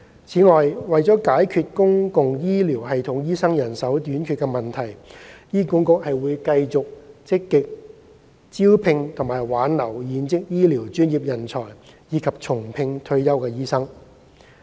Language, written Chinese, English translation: Cantonese, 此外，為解決公共醫療系統醫生人手短缺問題，醫管局會繼續積極招聘和挽留現職醫療專業人才，以及重聘退休醫生。, Moreover HA will continue to proactively recruit doctors retain existing health care professionals and rehire retired doctors to address the manpower shortage of doctors in the public health care system